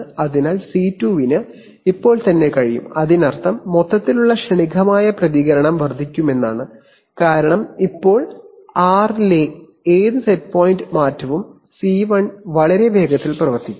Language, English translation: Malayalam, So C2 can right, now which means that overall transient response will increase because now r, any set point change in r will be acted upon much faster by C1